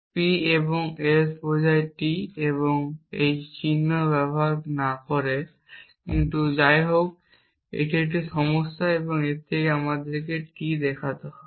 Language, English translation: Bengali, P and S implies T and not using the same symbols, but anyway it is a same problem and from this we have to show T